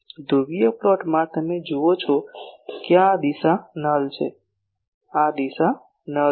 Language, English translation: Gujarati, In the polar plot you see this direction is a null this direction is a null